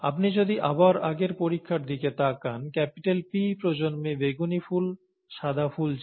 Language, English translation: Bengali, Therefore, if you look at the earlier experiment again, the P generation had purple flowers, white flowers